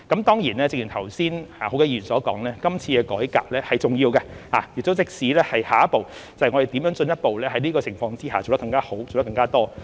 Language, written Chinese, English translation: Cantonese, 當然，正如剛才多位議員所說，今次的改革是重要的，讓我們知道下一步，在此情況下怎樣進一步做得更加好、更加多。, Of course as many Members have just said this reform is important as it let us know the next step and how to do better under these circumstances